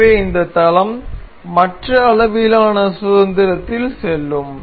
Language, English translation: Tamil, So, this plane is free to move in other degrees of freedom